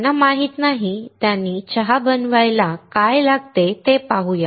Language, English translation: Marathi, Those who do not know, let us see what all we need to make a tea